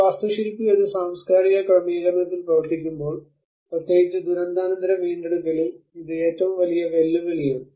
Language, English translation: Malayalam, This is one of the biggest challenge when an architects work in a cultural settings, especially in the post disaster recover